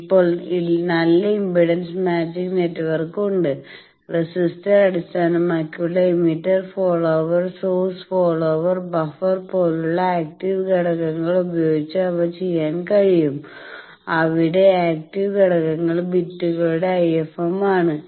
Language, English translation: Malayalam, Now, there are good impedance matching network, they can be done with active elements like transistor based emitter follower source follower buffer there the active elements bits IFM